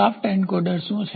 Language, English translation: Gujarati, What is shaft encoder